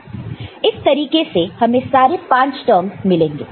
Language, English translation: Hindi, So, this way you will get all the five terms